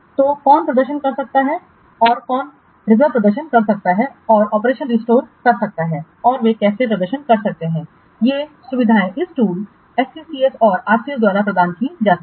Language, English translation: Hindi, So who can perform and who can perform reserve and restore operations and how they can perform these facilities are provided by these tools, SCCS and RCS